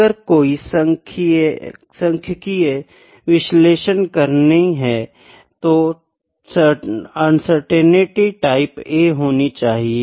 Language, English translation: Hindi, So, if the any statistical analysis has to be applied, the uncertainty has to be type A uncertainty